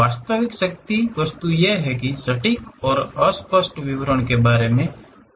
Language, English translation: Hindi, The real power is about precise and unambiguous description of the object